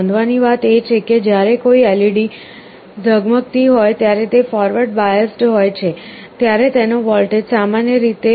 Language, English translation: Gujarati, The other point to note is that, when an LED is glowing it is forward biased, the voltage across it is typically 1